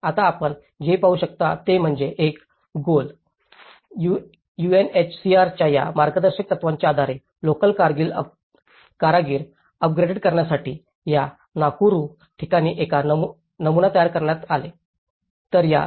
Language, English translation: Marathi, Now, what you can see is, based on these guidelines for GOAL and UNHCR brought local artisans to upgrade, to build a prototypes in this Nakuru place